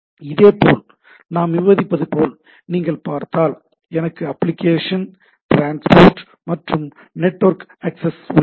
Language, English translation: Tamil, so if you look at, so I have application transport and network access